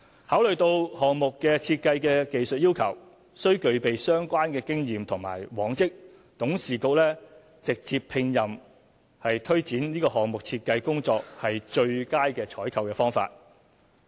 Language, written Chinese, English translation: Cantonese, 考慮到項目設計的技術要求需具備相關經驗和往績，董事局直接聘任是推展此項目設計工作的最佳採購方法。, Considering that the technical requirements for the designer of the project include relevant experience and past achievements the WKCDA Board thought that direct commissioning was the best procurement method for taking forward the design of the project